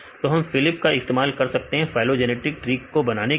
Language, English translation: Hindi, So, we can use a phylip to construct the phylogenetic trees